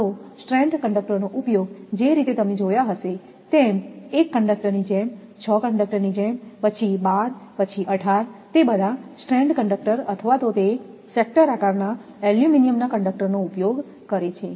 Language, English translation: Gujarati, Either it will be used stranded conductors the way we have seen know the stranded conductor like your 1 conductor around that 6 conductor, then 12, then 18 those the stranded conductor or sometimes this sector shaped aluminum conductors are used